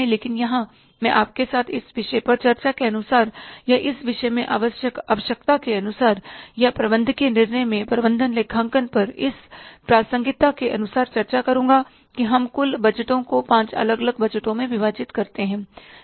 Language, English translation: Hindi, But here I will discuss with you that as per the discussion required in this subject or as per the requirement of this subject or this relevance of the management accounting in the managerial decision making, we divide the total budgets into five different budgets